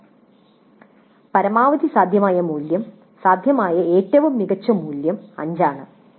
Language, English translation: Malayalam, 6 and the maximum possible value, the best possible value is 5